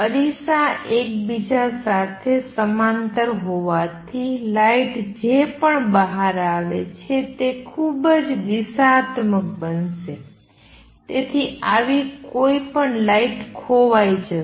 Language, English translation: Gujarati, Since the mirrors are parallel to each other whatever light comes out is going to be highly directional, any light that goes like this is going to be lost